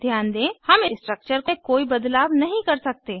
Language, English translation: Hindi, Please note, we cannot make changes in the structure